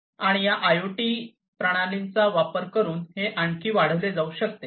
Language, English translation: Marathi, And this could be further increased with the increase of adoption of these IoT systems